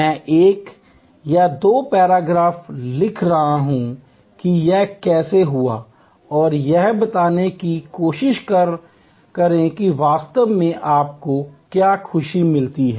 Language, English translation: Hindi, I am write one or two paragraphs about how it happened and try to characterize what exactly give you that joyful moment